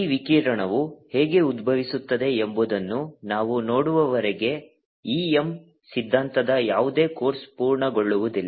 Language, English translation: Kannada, no course on e m theory is going to complete until we see how this radiation arise this